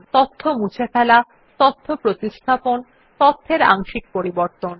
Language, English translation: Bengali, Removing data, Replacing data, Changing part of a data